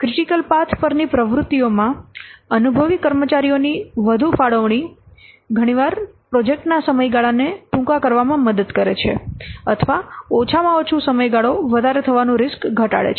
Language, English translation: Gujarati, Allocation of more experienced personnel to activities on the critical path upon helps in certaining the project duration or at least reduces the risk overrun